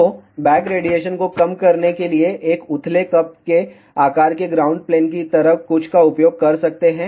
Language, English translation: Hindi, So, to reduce the back radiation, one can use something like a shallow cup shaped ground plane